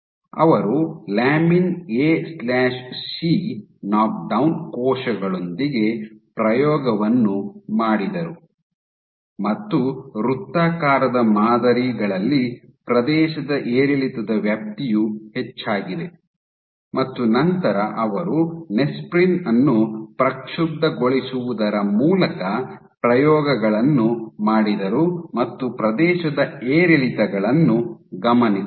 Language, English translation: Kannada, So, they then experiment with lamin A/C knock down cells also found that with this on the circular patterns the extent of area fluctuation increased, increased then did experiments by perturbing Nesprin and still they observed area fluctuations